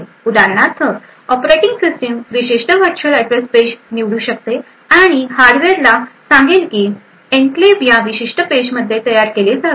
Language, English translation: Marathi, For example, the operating system could choose a particular virtual address page and specify to the hardware that the enclave should be created in this particular page